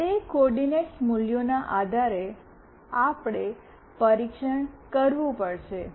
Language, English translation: Gujarati, Based on that coordinate values, we have to test